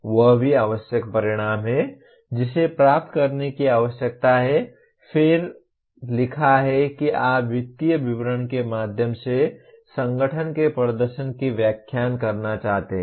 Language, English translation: Hindi, That is also necessary outcome; that needs to be attained and then having written that you want to explain the performance of the organization through the financial statement